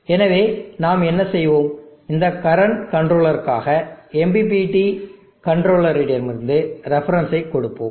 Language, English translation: Tamil, So what we will do for this current controller, we will give the reference to the MPPT controller